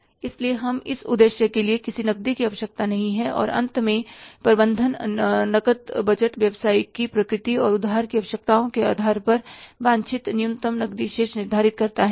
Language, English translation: Hindi, And finally the cash budget is management determines the minimum cash balance desired depending on the nature of the business and the credit requirements